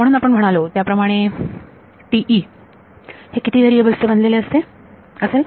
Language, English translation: Marathi, So, TE as we have said it consists of which variables